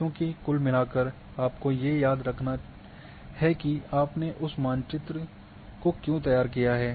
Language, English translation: Hindi, The purpose is because overall you have to remember for what purpose, you have to be prepared that map